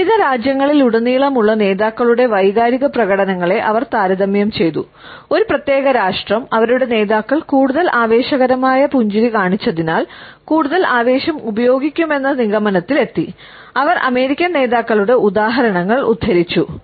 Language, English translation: Malayalam, She had compared the emotional expressions of leaders across different nations and has concluded that the more a particular nation will use excitement, the more their leaders show excited smiles and she has quoted the examples of the American leaders